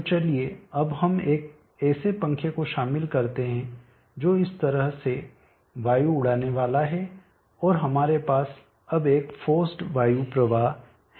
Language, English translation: Hindi, So let us now include a fan which is going to blow air like this and we now have a forced air flow